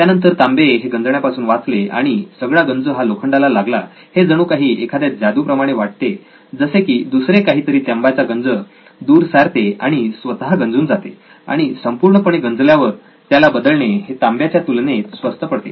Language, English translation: Marathi, It would not corrode but all the corrosion would happen with iron, sounds like magic that something else takes the corrosion away and that gets corroded once that and it is easier and cheaper to replace that material compared to copper which is more expensive